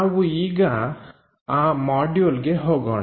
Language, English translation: Kannada, Let us move on to that module